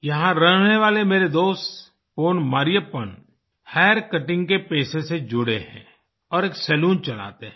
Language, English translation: Hindi, My friend from this town Pon Marriyappan is associated with the profession of hair cutting and runs a salon